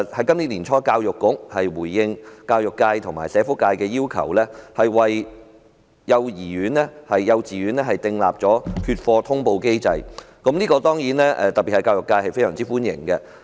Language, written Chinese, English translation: Cantonese, 今年年初，教育局回應教育界和社福界的要求，為幼稚園訂立缺課通報機制，此舉當然受到社會各界歡迎，尤其教育界。, In response to requests from the education and social welfare sectors the Education Bureau has put in place a reporting mechanism for absentees in kindergartens in the beginning of this year and this is of course a move welcome by various sectors of the community especially the education sector